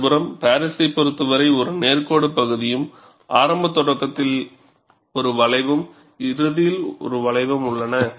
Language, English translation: Tamil, On the other hand, in the case of Paris, there is a straight line portion followed by one curve at the initial start and one curve at the end